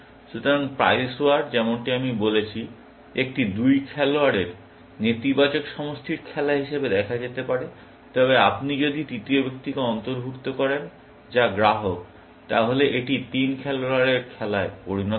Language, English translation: Bengali, So, Price War, as I said, can be seen as a two player negative sum game, but if you include the third person, which is the consumer, then it becomes the three player game